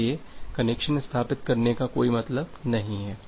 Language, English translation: Hindi, So, there is no point in establishing the connection